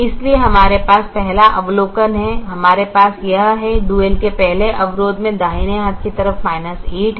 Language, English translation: Hindi, so the first observation that we have is we have this: the first constraint of the dual has a minus eight in the right hand side